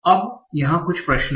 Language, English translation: Hindi, Now, there are certain questions here